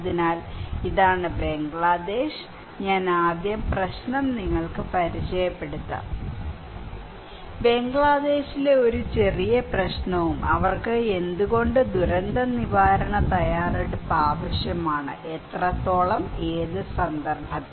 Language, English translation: Malayalam, So, this is Bangladesh, and I will first introduce to you the problem; a little problem in Bangladesh and why they need disaster preparedness and what extent and in which context okay